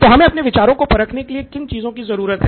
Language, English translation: Hindi, So now what do we need to test our ideas